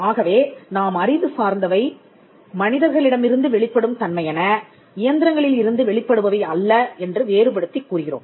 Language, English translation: Tamil, So, we distinguish intellectual as something that comes from human being, and not something that comes from machines